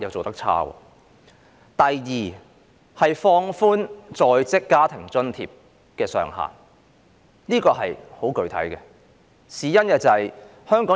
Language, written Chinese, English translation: Cantonese, 第二，放寬在職家庭津貼計劃的工時要求。, Secondly the relaxation of the working hour requirements under the Working Family Allowance Scheme